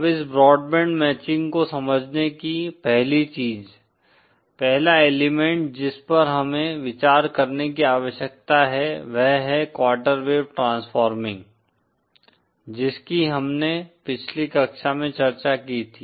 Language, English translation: Hindi, Now the first thing to understand this broadband matching; the first element that we need to consider is the quarter wave transforming, that we had discussed in the previous class